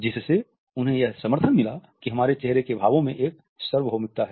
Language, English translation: Hindi, It led him to believe that there is a universality in our facial expressions